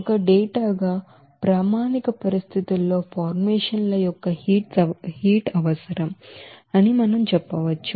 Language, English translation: Telugu, As a data we can say that heats of formations at standard conditions are required